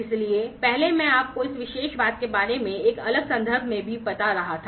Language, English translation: Hindi, So, earlier I was telling you about this particular thing, in a different context as well